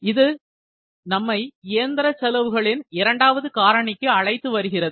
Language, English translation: Tamil, So, this brings us on the second factor of machine cost, that is maintenance